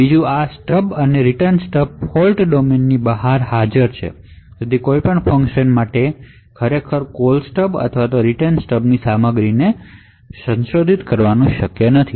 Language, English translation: Gujarati, Second this stub and Return Stub are present outside the fault domain so therefore it would not be possible for any function to actually modify the contents of the Call Stub or the Return Stub